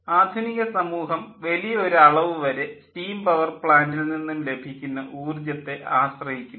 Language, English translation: Malayalam, and the modern civilization is dependent to a very great extent on the energy that we get from steam power plant